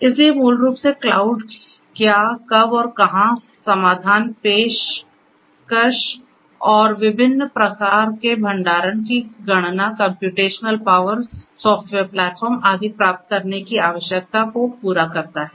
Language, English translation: Hindi, So, basically cloud fulfills the need of what, when and where solutions, offerings, you know different types of storage access to computational power software platform and so on different types of accesses and so on